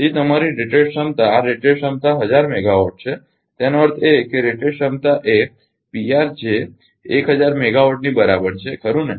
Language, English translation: Gujarati, So, your rated capacity this rated capacity is 1000 megawatt; that means, rated capacity is a P r is equal to 1000 megawatt right